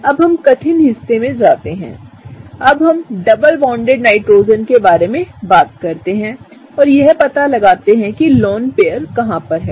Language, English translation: Hindi, Now, let us go to the tough part; now let us talk about the double bonded Nitrogen and let us figure out where does that lone pair reside